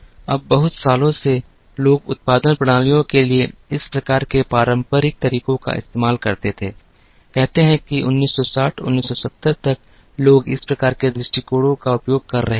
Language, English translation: Hindi, Now, for very many years, people used these type of traditional approaches to production systems, say till about 1960, 1970 people were using these type of approaches